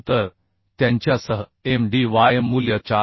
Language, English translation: Marathi, 2 So with those the Mdy value is coming 4